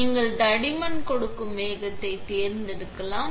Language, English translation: Tamil, You can select the speed which give you the thickness